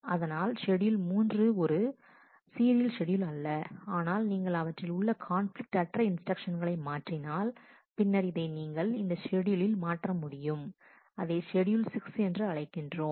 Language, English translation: Tamil, So, schedule 3 is not a serial schedule, but if you can swap non conflicting instructions, then you are able to convert this into this schedule which if we are calling a schedule 6